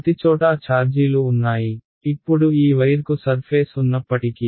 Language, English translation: Telugu, There are charges everywhere right, now even though this wire has a surface right